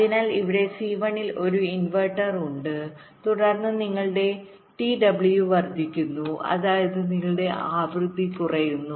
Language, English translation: Malayalam, so there is a inverter here in c one, then your t w is increasing, which means your frequency would be decreasing